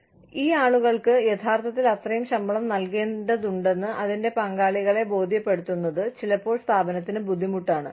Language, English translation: Malayalam, And, it becomes, sometimes, it becomes hard for the organization, to convince its stakeholders, that these people actually need to be paid, that much salary